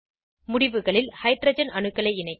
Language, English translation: Tamil, Let us attach hydrogen atoms at the ends